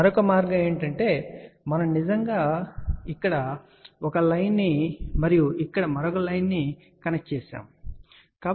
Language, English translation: Telugu, The another way is that we actually connect one line over here and let us say another line over here